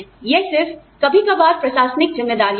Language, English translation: Hindi, It is just occasional administrative responsibilities